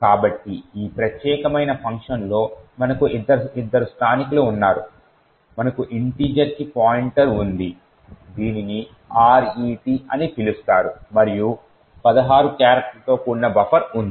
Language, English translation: Telugu, So, in this particular function we have two locals we have pointer to an integer which is known as RET and a buffer which is of 16 characters